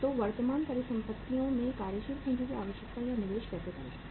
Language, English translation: Hindi, So how to work out the working capital requirement or investment in the current assets